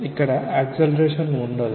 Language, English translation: Telugu, What is the acceleration